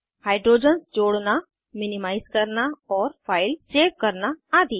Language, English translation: Hindi, * Add Hydrogens, Minimize and save files